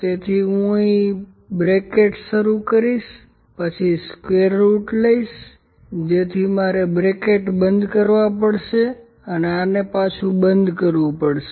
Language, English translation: Gujarati, So, I will start the braces here, then take square root of so I have to close this is and close this is I have to take it should be complete